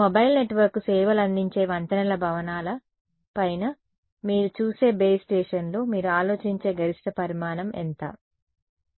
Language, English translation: Telugu, The base stations that you see on top of bridges buildings that serves your mobile network, what is the maximum dimension that you think, how much